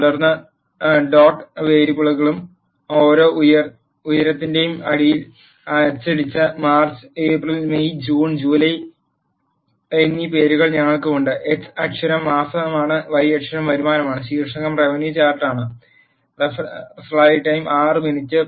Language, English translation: Malayalam, And then in the names dot variable we have March, April, May, June and July, which is printed at the bottom of each height, and the x axis is month, y axis is revenue and the title is revenue chart